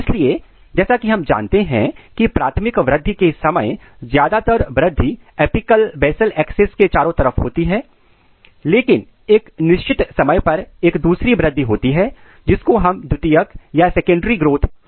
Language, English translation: Hindi, So, as we know that during primary growth the major growth occurs across the apical basal axis, but at a certain time point there is another growth which is called secondary growth which starts in this direction